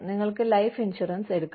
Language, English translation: Malayalam, You could have life insurance